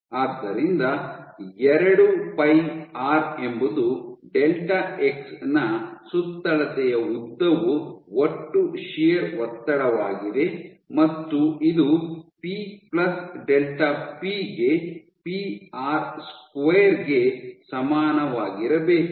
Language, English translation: Kannada, So, 2 pi r is the circumferential length into delta x is the total shear stress and this must be equal to p plus delta p into pi r square